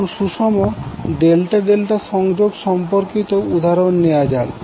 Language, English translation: Bengali, Now let us talk about the balanced Delta Delta Connection